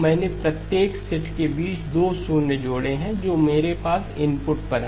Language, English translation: Hindi, I have inserted 2 zeros between every set of samples that I have at the input